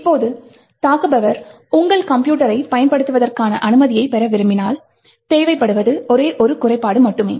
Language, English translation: Tamil, Now, if an attacker wants to get access to your system, all that is required is just a one single flaw